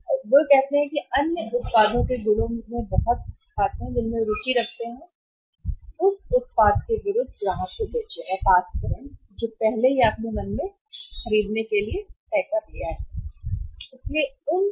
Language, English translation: Hindi, And say account so much of the properties of the other products in which they are interested to sell or pass on to the customer against the product which you have already decide in your mind to buy